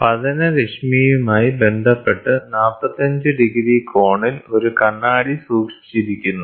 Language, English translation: Malayalam, A mirror is kept at an angle of 45 degrees with respect to the incident ray of light